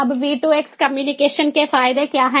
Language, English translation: Hindi, now, what are the advantages of v two x communication